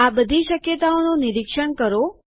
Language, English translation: Gujarati, Explore all these possibilities